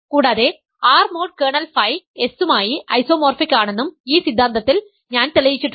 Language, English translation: Malayalam, So, remember I am trying to show that R mod kernel of phi is isomorphic to S